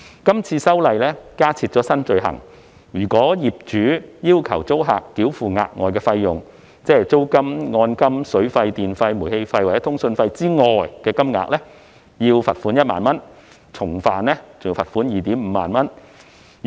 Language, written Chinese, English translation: Cantonese, 這次修例加設新罪行，"劏房"業主如要求租客繳付額外費用，即租金、按金、水費、電費、煤氣費或通訊服務收費以外的金額，可處罰款1萬元，重犯者則可處罰款 25,000 元。, The current legislative amendment sets out a new offence . If an SDU landlord requires the tenant to pay any additional charges other than the rent deposit and charges for water electricity gas or communication services the landlord shall be liable to a fine of 10,000 or 25,000 for a repeated offender